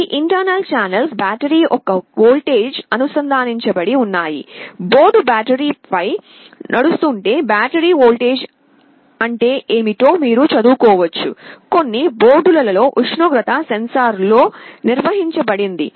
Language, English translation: Telugu, These 3 internal channels are connected to the voltage of the battery; if the board is running on battery you can read what is the battery voltage, then there is a built in temperature sensor in some of the boards